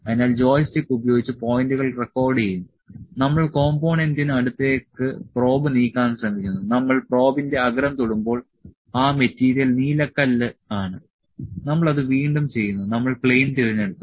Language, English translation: Malayalam, So, will record the points using joystick, we are trying to move the probe close to the component, when we will touch the tip of the probe that is the sapphire material we are doing it again, we have selected the plane; plane from here selected